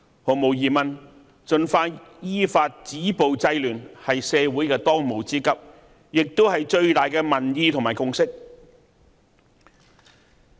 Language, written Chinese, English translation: Cantonese, 毫無疑問，盡快依法止暴制亂，是社會的當務之急，也是最大的民意和共識。, Undoubtedly the most urgent task for the community is to stop violence and curb disorder according to law which is the overwhelming view and consensus